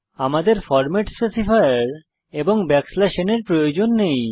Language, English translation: Bengali, We dont need the format specifier and /n Let us delete them